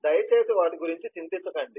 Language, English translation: Telugu, please do not get worried about them